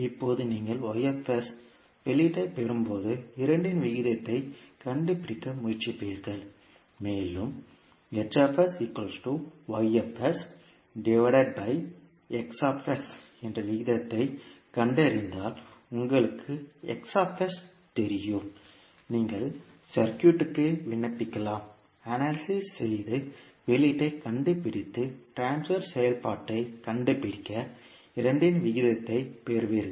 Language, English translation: Tamil, Now when you get the output Y s, then you will try to find out the ratio of the two and when you find out the ratio that is a H s equal to Y s upon X s, you know X s, you can apply the circuit analysis and find the output and then you obtain the ratio of the two to find the transfer function